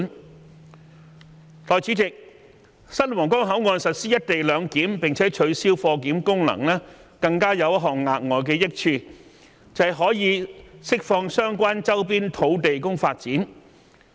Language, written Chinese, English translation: Cantonese, 代理主席，新皇崗口岸實施"一地兩檢"，並取消貨檢功能，更有一項額外的益處，就是可釋放相關周邊土地供發展。, Deputy President the redeveloped Huanggang Port will implement the co - location arrangement and abolish its cargo clearance function . Its additional benefit is that the sites nearby can be freed up for development